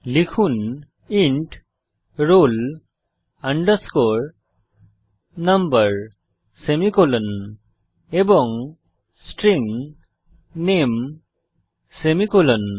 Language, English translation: Bengali, So type int roll number semi colon and String name semi colon